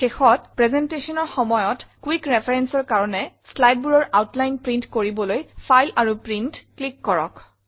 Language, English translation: Assamese, Lastly, to print the outline of the slides for quick reference during a presentation, click on File and Print